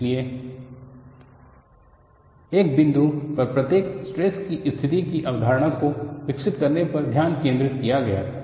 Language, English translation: Hindi, So, the focus was more on developing the concept of state of stress at a point